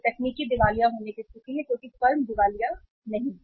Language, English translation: Hindi, That is a state of technical insolvency because firm is not insolvent